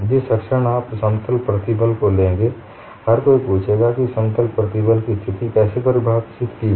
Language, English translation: Hindi, In the moment you plane stress, everybody will ask what is the plane stress situation define